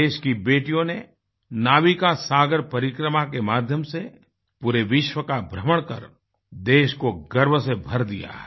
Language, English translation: Hindi, Daughters of the country have done her proud by circumnavigating the globe through the NavikaSagarParikrama